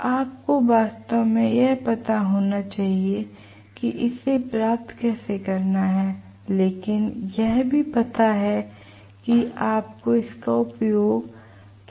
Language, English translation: Hindi, So, you should actually know how to derive this but also know how to use it, okay